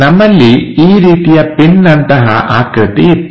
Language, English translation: Kannada, We have this kind of pin kind of structure